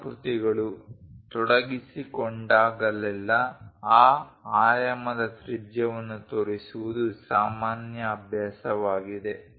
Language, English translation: Kannada, Whenever curves are involved it is a common practice to show the radius of that dimension